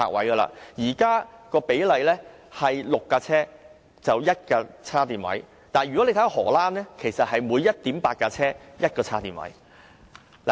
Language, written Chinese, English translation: Cantonese, 現時，每6輛車設有1個充電位，但在荷蘭，是每 1.8 輛車設有1個充電位。, At present there is one charging station for every six EVs . But in the Netherlands there is one charging station for every 1.8 EVs